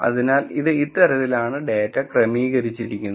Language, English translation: Malayalam, So, it is organized into data like this